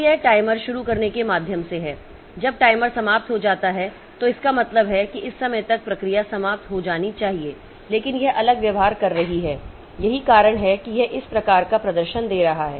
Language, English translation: Hindi, When the timer expires, so it means that the process should have been over by this time but it is must be it must be misbehaving that is why it is giving this type of performance